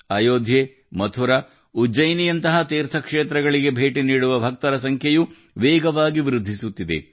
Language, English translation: Kannada, The number of devotees visiting pilgrimages like Ayodhya, Mathura, Ujjain is also increasing rapidly